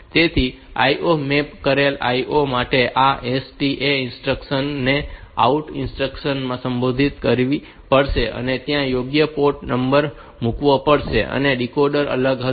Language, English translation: Gujarati, So, for IO mapped IO this STA instruction has to be modified to OUT instruction and the appropriate port number has to be put there and the decoders will be separate